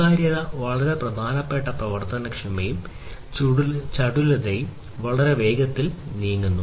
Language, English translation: Malayalam, So, transparency is very important proactivity and agility; agility in terms of moving very fast right